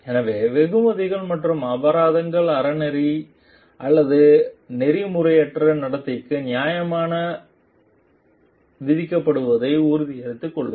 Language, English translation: Tamil, So, make sure like the rewards and penalties are levied fairly for ethical or unethical conduct